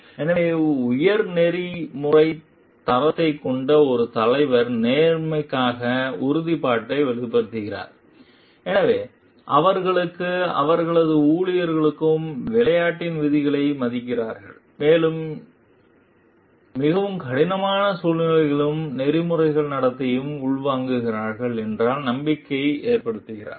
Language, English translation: Tamil, So, a leader who has a high ethical standard conveys a commitment to fairness, so instilling confidence that both they and their employees will honour the rules of the game, and will imbibe the ethical conduct in most difficult situations also